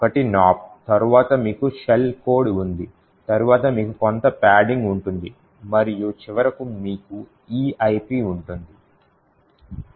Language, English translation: Telugu, One is nops then you have the shell code then you have some padding and finally you have an EIP